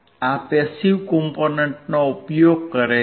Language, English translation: Gujarati, This is using the passive components